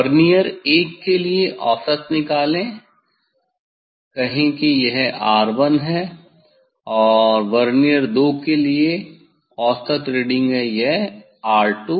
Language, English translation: Hindi, for Vernier I find out the mean, if say this is R 1 and mean reading for Vernier II this R 2